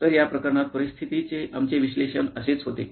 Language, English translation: Marathi, So, in this case this is what our analysis of the situation was